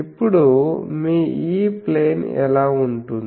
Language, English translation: Telugu, So, now your what will be your E plane thing